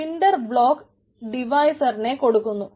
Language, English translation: Malayalam, cinder provides block devices